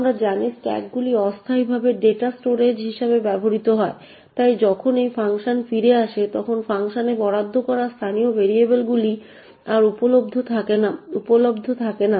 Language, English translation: Bengali, As we know stacks are used as temporary data storage, so whenever a function returns then the local variables which was allocated in the function is no more available